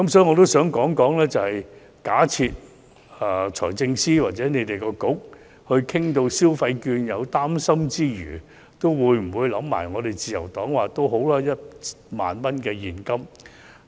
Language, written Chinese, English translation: Cantonese, 我想問局長，假設財政司司長或當局討論消費券時，在擔心之餘，會否考慮自由黨建議派發1萬元現金？, I would like to ask the Secretary whether the Liberal Partys proposal of handing out 10,000 in cash will be considered if the Financial Secretary or the authorities still have some worries in the discussion on consumption vouchers